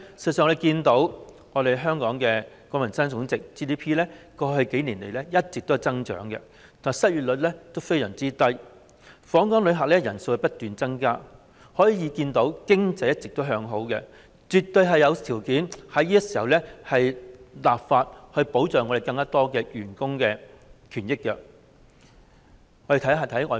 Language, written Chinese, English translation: Cantonese, 我們看到香港的國民生產總值過去數年一直有增長，失業率非常低，訪港旅客人數不斷增加，可見經濟一直向好，絕對有條件在此時立法保障更多僱員權益。, We have seen that Hong Kongs gross domestic product GDP has been growing over the past few years the unemployment rate remains very low and the number of visitors to Hong Kong is increasing . It shows that our economy has been improving which has definitely created a favourable condition for legislating to protect more employees rights and interests at this time